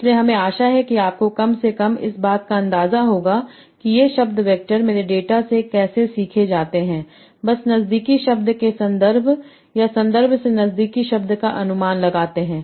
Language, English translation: Hindi, So I hope you will at least have an idea that how these word vectors are learned from my data by just predicting neighboring words from the context word or context from the neighboring word